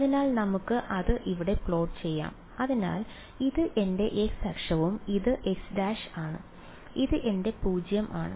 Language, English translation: Malayalam, So, let us say is plot it over here right, so this is my x axis and let us say this is x prime, this is my 0